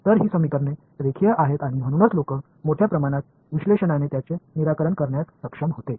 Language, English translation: Marathi, So, these equations are linear and that is why people were able to solve them analytically for a large part